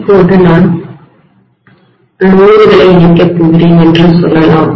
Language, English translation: Tamil, Now let us say I am going to connect the load